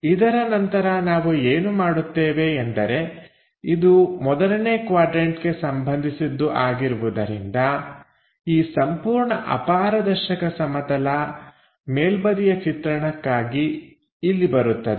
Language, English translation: Kannada, After that, what we will do is; because it is a first quadrant thing, this entire opaque plane comes here for top view